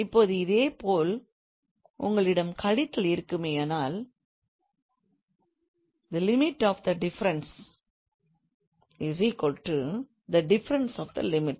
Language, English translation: Tamil, Now similarly if you have a subtraction, so the limit of the difference is equal to difference of the limit